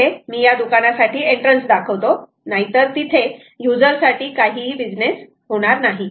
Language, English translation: Marathi, so let me put an entrance for the garment shop, otherwise there is not going to be any business for the user